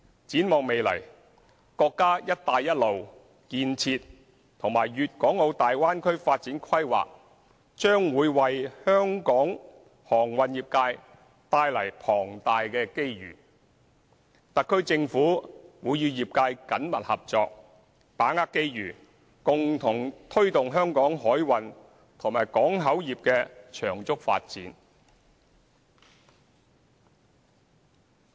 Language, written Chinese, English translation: Cantonese, 展望未來，國家"一帶一路"建設和粵港澳大灣區發展規劃將會為香港航運業界帶來龐大機遇，特區政府會與業界緊密合作，把握機遇，共同推動香港海運和港口業的長足發展。, Looking forward the countrys Belt and Road Initiative and the development of the Guangdong - Hong Kong - Macao Bay Area will bring enormous opportunities to the maritime industry in Hong Kong . The SAR Government will work closely with the industry to capitalize on the opportunities to jointly promote the rapid development of the maritime and port industries in Hong Kong